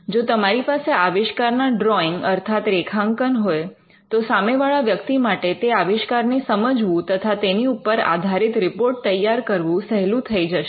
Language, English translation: Gujarati, If you have drawings of the invention, then it becomes much easier for the person to understand the invention and to generate a report based on that